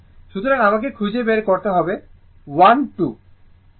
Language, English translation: Bengali, So, if you , you have to find out I 1, I 2 right